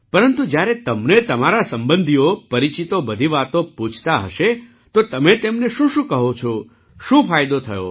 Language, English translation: Gujarati, But when all your relatives and acquaintances ask you, what do you tell them, what have the benefits been